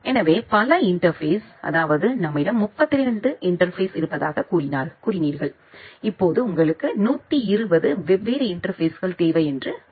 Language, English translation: Tamil, So, you have say multiple interfaces say you have 32 interfaces, now say you require 120 different interfaces